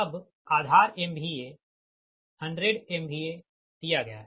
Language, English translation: Hindi, right now, base m v a is given hundred m v a